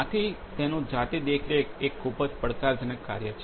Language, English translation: Gujarati, Hence, its manual monitoring is a pretty challenging task